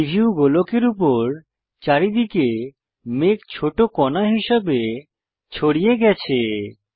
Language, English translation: Bengali, All over the preview sphere the clouds are spread as small bumps